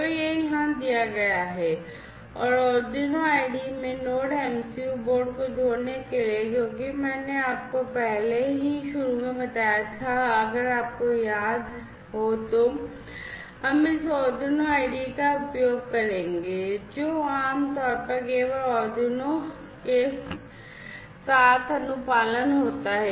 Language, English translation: Hindi, So, this is given here and to add the Node MCU board to the Arduino IDE, because I told you earlier at the outset if you recall that we would be using this Arduino IDE, which typically is compliant with only Arduino